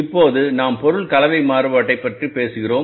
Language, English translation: Tamil, Now we talk about the material mix variance